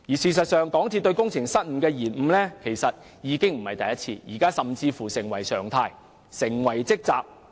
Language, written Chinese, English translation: Cantonese, 事實上，港鐵公司並非第一次隱瞞工程失誤，這甚至已成為常態，成為其"職責"。, Actually this is not the first time that MTRCL has concealed construction blunders . Such concealment has even become a norm or its duty